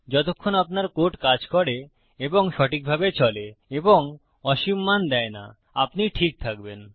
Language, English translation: Bengali, As long as your code works and flows properly and doesnt produce infinite values, you will be fine